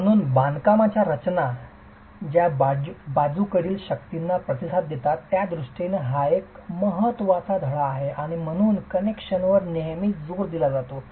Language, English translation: Marathi, So, that is an important lesson in the way masonry structures will respond to lateral forces and that's the reason why the emphasis is always on connections